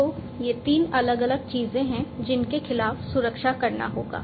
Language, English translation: Hindi, So, these are the 3 different things against which the protections will have to be made